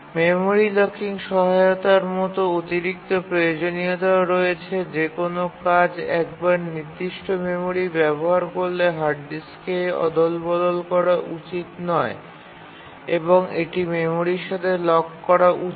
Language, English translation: Bengali, There are additional requirements like memory locking support that once a task uses certain memory, there should not be swapped to the hard disk and so on